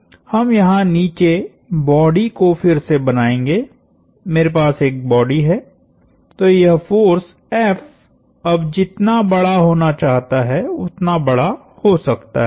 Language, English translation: Hindi, So, we will recreate the body down here, I have a body, so this force F is now it can be as large as it wants to be